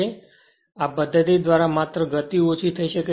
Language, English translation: Gujarati, So, by this method only speed can be decrease right